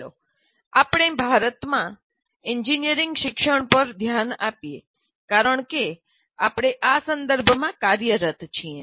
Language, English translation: Gujarati, Now let us look at engineering education in India because we are operating in that context